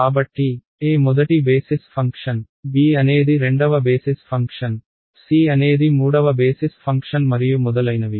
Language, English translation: Telugu, So, a is the first basis function, b is the second basis function, c is the third basis function and so on